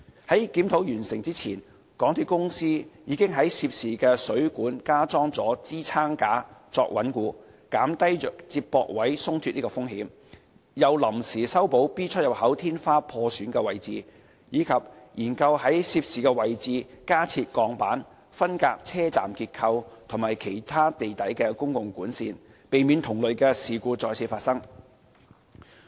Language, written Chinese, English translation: Cantonese, 在檢討完成前，港鐵公司已在涉事水管加裝支撐架作穩固，減低接駁位鬆脫的風險，又臨時修補 B 出入口天花破損的位置，以及研究在涉事位置加設鋼板，分隔車站結構及其他地底公共管線，避免同類事故再次發生。, Before completing the review MTRCL already installed additional supports for stabilization such that the risk of loosening at the connection of the pipe was lowered and temporarily mended the damaged part of the roof . In order to prevent similar occurrence in future the installation of steel plates at the location concerned is being studied for further separating the structure of the station and the other underground utilities